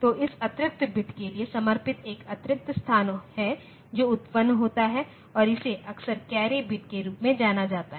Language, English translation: Hindi, So, there is one extra space devoted for storing this extra bit that is generated and this is often known as the carry bit